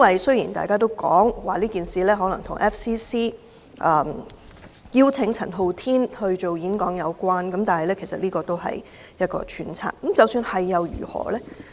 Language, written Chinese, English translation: Cantonese, 雖然大家也說這件事可能與香港外國記者會邀請陳浩天演講有關，但這只是揣測，即使有關又如何呢？, Although there is a saying that the incident may be related to the invitation from the Foreign Correspondents Club Hong Kong FCC to Andy CHAN to give a talk that is merely a speculation and even if that is the case so what?